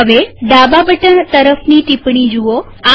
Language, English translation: Gujarati, Observe the comment next to the left button